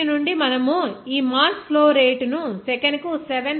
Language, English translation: Telugu, From this, you can get to this mass flow rate as 7